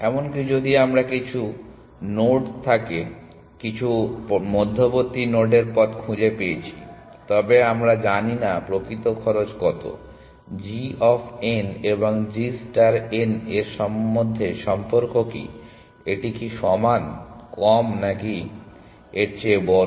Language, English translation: Bengali, Even if we have found the path from some node to some intermediate node, we do not know what the actual cost, what is a relation between g of n and g star of n, is it equal lesser than or greater than